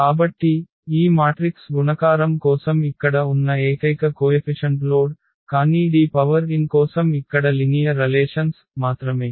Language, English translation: Telugu, So, that is the only computation load here for this matrix multiplication, but for D power n only that linear relations here